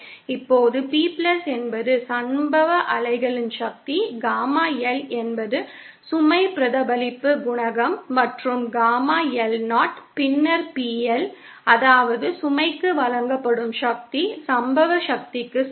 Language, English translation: Tamil, Now P+ is a power of the incident wave, Gamma L is the load reflection coefficient and we see that is Gamma L is 0, then PL, that is the power delivered to the load is equal to the incident power